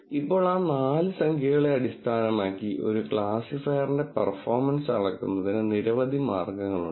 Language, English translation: Malayalam, Now, based on those four numbers, there are many ways of measuring the performance of a classifier